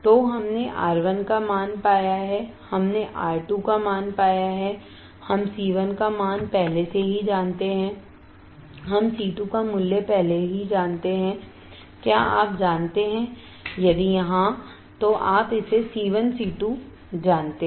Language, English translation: Hindi, So, we have found the value of R 1 we have found the value of R 2, we have already known value of C 1, we already know value of C 2 do you know it yes you know it C 1 C 2